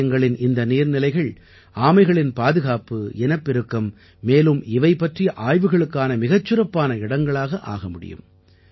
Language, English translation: Tamil, The ponds of theses temples can become excellent sites for their conservation and breeding and training about them